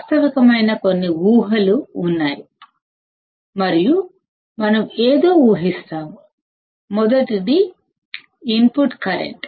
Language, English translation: Telugu, There are few assumptions that areis realistic and we will assume something; the first one is 0 input current